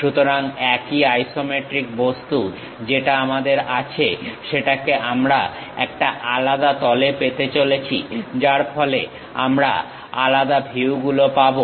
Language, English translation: Bengali, So, the same isometric object what we have it; we are going to have it in different plane, so that we will be having different views